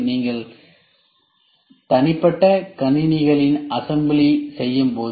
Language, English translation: Tamil, When you do assembly of personal computers